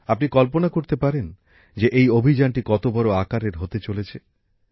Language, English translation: Bengali, You can imagine how big the campaign is